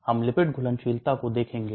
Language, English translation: Hindi, We will look at lipid solubility